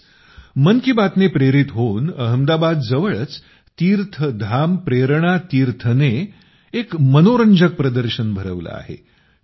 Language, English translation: Marathi, Similarly, inspired by 'Mann Ki Baat', TeerthdhamPrernaTeerth near Ahmadabad has organized an interesting exhibition